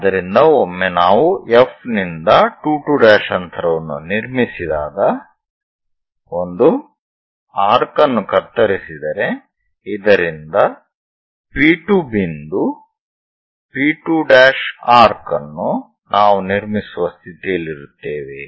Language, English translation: Kannada, So, once we construct 2 2 prime distance from F cut an arc so that P 2 point P 2 prime arc we will be in a position to construct